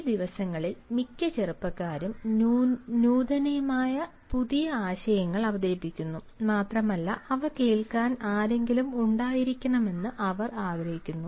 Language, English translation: Malayalam, most of these youngsters these days they come up with bubbling innovative new ideas and they want that they should have somebody to listen to them